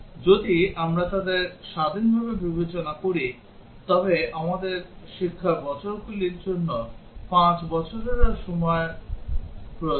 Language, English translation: Bengali, If we consider them independently then we need 5 for the years of education, and 5 for the age